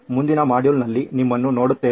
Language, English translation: Kannada, See you in the next module then